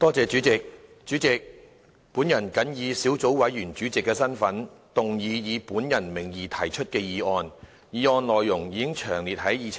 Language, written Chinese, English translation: Cantonese, 代理主席，本人謹以小組委員會主席的身份，動議以本人名義提出的議案，議案內容已詳列於議程內。, Deputy President in my capacity as Chairman of the Subcommittee I moved that the motion which stands under my name and as duly printed on the Agenda be passed